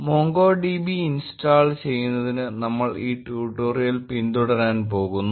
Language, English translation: Malayalam, We are going to follow this tutorial to install MongoDB